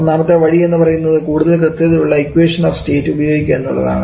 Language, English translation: Malayalam, The first option is to use more accurate equation of state